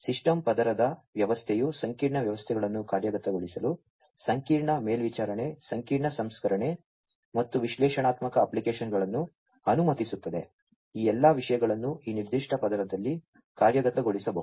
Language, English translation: Kannada, System of systems layer allows complex systems to be executed, complex monitoring, complex processing, and analytic applications, all of these things could be executed at this particular layer